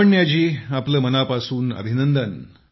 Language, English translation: Marathi, Lavanya ji many congratulations to you